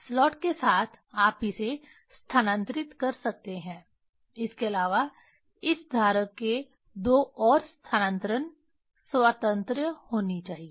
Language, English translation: Hindi, Along the slot you can move that one apart from that this holder should have two more translational freedom